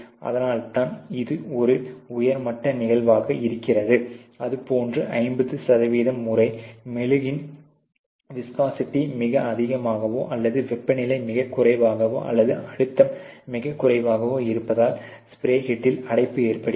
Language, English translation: Tamil, And that is why it is a high level of occurrence similarly is what 50 percent of the times, you know it is basically the spray head clogged, because of the viscosity of the wax being too high or the temperature too low or pressure too low, you know the pressures and temperature